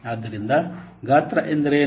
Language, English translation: Kannada, So, what is size